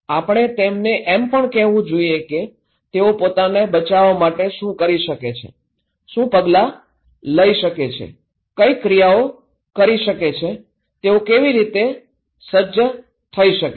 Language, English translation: Gujarati, We should also tell them that what they can do, what measures, actions, preparedness they can take to protect themselves